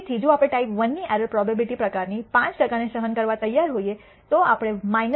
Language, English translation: Gujarati, So, if we are willing to tolerate a type I error probability of 0